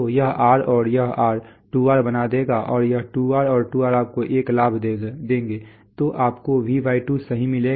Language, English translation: Hindi, So this R and this R will make 2R and this 2R and 2R will give you a gain of 1, so you get V/2 right